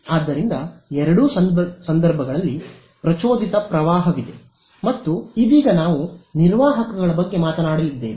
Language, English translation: Kannada, So, in both cases there is an induced current and for now we are going to be talking about conductors